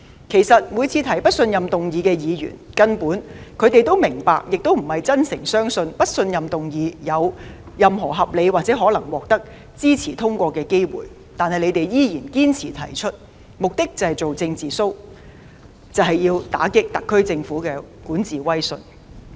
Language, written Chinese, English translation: Cantonese, 其實每次提出不信任議案的議員根本並非真誠地相信不信任議案有任何獲支持通過的合理可能，但他們依然堅持提出，目的是做"政治 show"， 打擊特區政府的管治威信。, In fact Members proposing a motion of no confidence every time simply do not sincerely believe that the motion of no confidence stands a reasonable chance of passage . Yet they still insist on proposing it in a bid to put on a political show to undermine the prestige of the SAR Government in governance